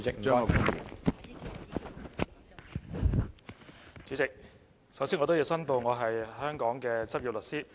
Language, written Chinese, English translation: Cantonese, 主席，首先我要申報我是香港的執業律師。, President first of all I have to declare interest . I am a practising solicitor in Hong Kong